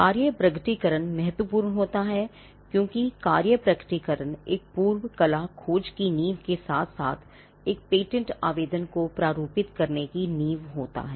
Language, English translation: Hindi, The working disclosure is important, because the working disclosure is what forms the foundation of both a prior art search as well as the foundation for drafting a patent application